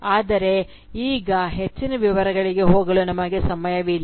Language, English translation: Kannada, But we lack the time to go into further details, now